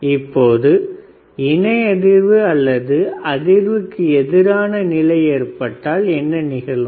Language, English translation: Tamil, Now, what if a parallel resonance or anti resonance condition occurs